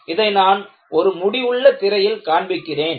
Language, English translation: Tamil, I am showing it in a finite screen